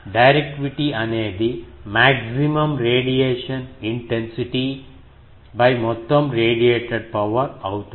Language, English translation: Telugu, Directivity is the maximum radiation intensity divided by total radiated power